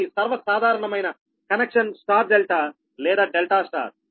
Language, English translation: Telugu, but the most common connection is the star delta or delta star right